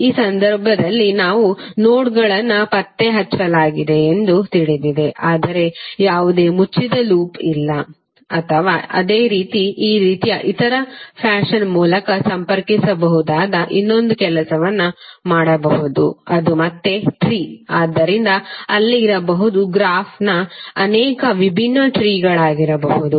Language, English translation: Kannada, In this case also you know that all the nodes have been traced but there is no closed loop or similarly you can do one more thing that you can connect through some other fashion like this, this and that, that again a tree, So there may be many possible different trees of a graph